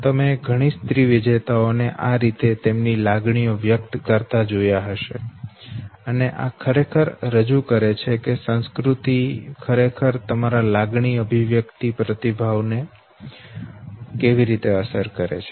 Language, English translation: Gujarati, You must have asked many female winners expressing their emotions the same way, and this actually represents that how the other culture actually influences your expression of emotion